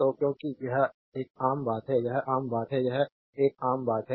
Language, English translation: Hindi, So, because this is a common this is a common point right this is a common point